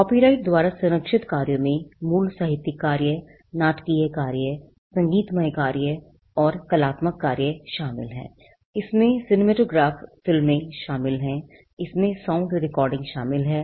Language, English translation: Hindi, Works protected by copyright include original literary works, dramatic works, musical works and artistic works, it includes cinematograph films, it includes sound recordings